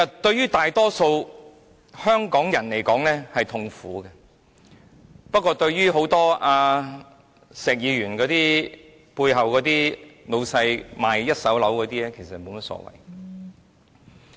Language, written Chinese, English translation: Cantonese, 對於大多數香港人來說，這是痛苦的，但對於石議員背後那些賣一手樓的老闆來說，則沒有甚麼所謂。, For most Hong Kong people this is painful . But for the bosses selling first - hand properties in Mr SHEKs sector this is no big deal